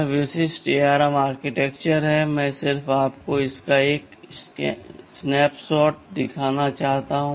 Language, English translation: Hindi, TSo, this is the typical ARM typical architecture, I just wanted to show you just a snapshot of it